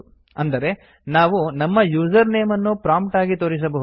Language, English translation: Kannada, Like we may display our username at the prompt